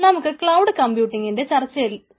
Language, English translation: Malayalam, hi, ah, let us continue our discussion on cloud computing